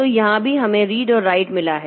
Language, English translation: Hindi, So, here also we have got read write